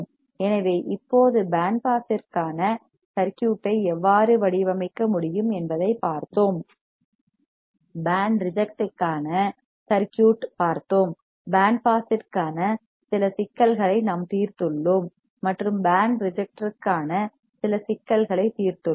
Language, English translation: Tamil, So, now, we have also seen how we can design the circuit for band pass, we have seen the circuit for band reject, we have solved some problems for band pass and solved some problem for band reject